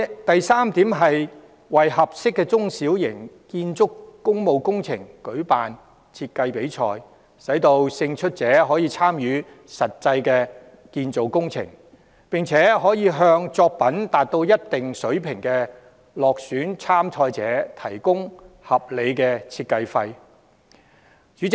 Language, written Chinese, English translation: Cantonese, 第三，為合適的中小型工務工程舉辦建築設計比賽，讓勝出者參與工程，並向作品達到一定水平的落選參賽者提供合理的設計費用。, My third proposal is to hold architectural design competitions for suitable small and medium public works projects and allow winners to participate in the projects and provide unsuccessful entrants whose works have reached a certain standard with reasonable design fees